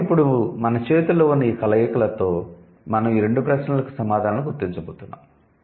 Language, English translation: Telugu, So, now with this possible combinations that we have in hand, we are going to figure out these two, the answers to these two questions